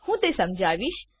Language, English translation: Gujarati, I will explain it